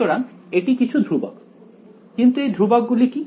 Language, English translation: Bengali, So, it is some constants, but what are those constants